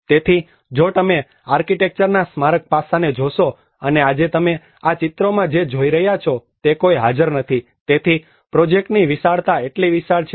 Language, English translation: Gujarati, So if you look at a huge squares the monumental aspect of architecture and today what you are seeing in these pictures is no one is present, so the vastness of the project is so huge